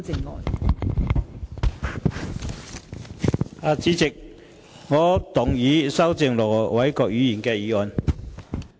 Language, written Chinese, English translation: Cantonese, 代理主席，我動議修正盧偉國議員的議案。, Deputy President I move that Ir Dr LO Wai - kwoks motion be amended